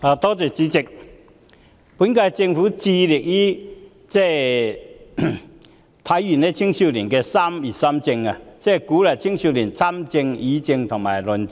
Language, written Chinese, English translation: Cantonese, 代理主席，本屆政府致力於體現青少年的"三業三政"，即鼓勵青少年參政、議政和論政。, Deputy President the current - term Government has strived to encourage the participation of young people in politics as well as public policy discussion and debate